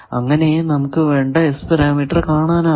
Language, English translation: Malayalam, So, its S matrix turns out to be this